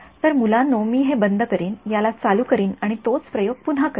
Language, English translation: Marathi, So I will turn this guy off, turn this guy on and repeat the same experiment